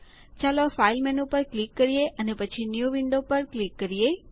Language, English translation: Gujarati, Lets click on the File menu and click on New Window